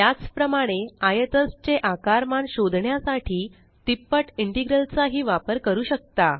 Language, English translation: Marathi, Similarly, we can also use a triple integral to find the volume of a cuboid